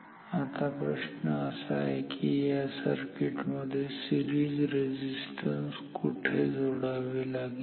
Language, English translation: Marathi, Now the question is where should I add the add that series resistance in this circuit